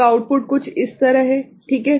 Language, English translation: Hindi, So, the output is something like this, right